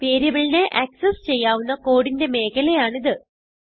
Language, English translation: Malayalam, It is the region of code within which the variable can be accessed